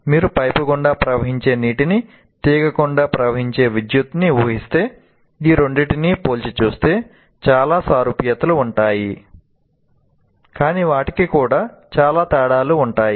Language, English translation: Telugu, But if you put water flowing through a pipe and current flowing through a wire, if I compare these two, there will be many similarities, but there will also be many differences